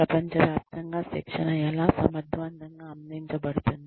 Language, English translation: Telugu, How can training be effectively delivered worldwide